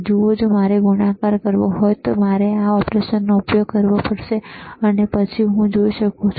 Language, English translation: Gujarati, See if I want to do a multiplication, then I have to use this operation, and then I can I can see if